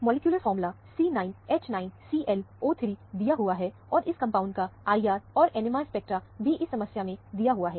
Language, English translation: Hindi, Molecular formula is given as C9H9ClO3, and the IR and the NMR spectra of this compound, is given in the problem